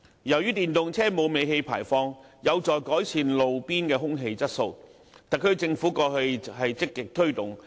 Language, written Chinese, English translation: Cantonese, 由於電動車沒有尾氣排放，有助改善路邊的空氣質素，為特區政府過去積極推動。, EVs having no tailpipe emissions can help improve roadside air quality and so the Government has been proactively promoting the use of EVs in the past